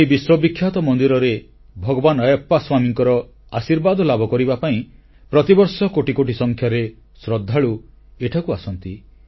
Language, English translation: Odia, Millions of devotees come to this world famous temple, seeking blessings of Lord Ayyappa Swami